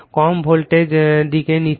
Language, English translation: Bengali, So, high voltage side